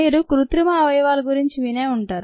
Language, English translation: Telugu, i am sure you would have heard of artificial organs